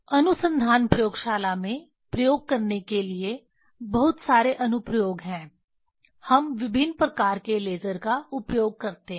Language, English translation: Hindi, There are lot of application for doing the experiment in research laboratory we use different kind of lasers